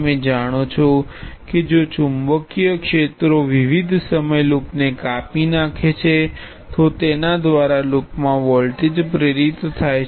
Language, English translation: Gujarati, You know that if a time varying magnetic fields cuts the loop, it induces a voltage in the loop